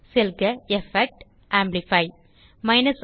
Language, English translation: Tamil, Go to Effect gtgt Amplify